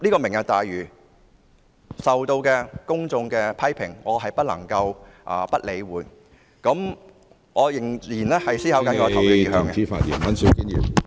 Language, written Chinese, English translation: Cantonese, "明日大嶼"受到公眾批評，我不能夠不予理會，所以我仍在思考我的投票意向。, As Lantau Tomorrow has been criticized by the public I cannot ignore this fact; thus I am still thinking about my voting intention